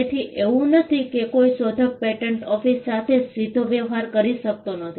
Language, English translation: Gujarati, So, it is not that an inventor cannot directly deal with the patent office